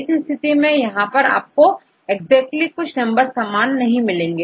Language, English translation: Hindi, In this case it is not able to exactly account some numbers